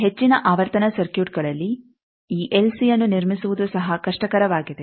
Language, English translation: Kannada, Also in this high frequency circuits fabricating this LC they are also difficult